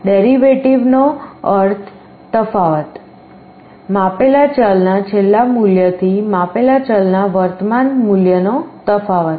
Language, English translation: Gujarati, Derivative means the difference; last value of the measured variable minus the present value of the measured variable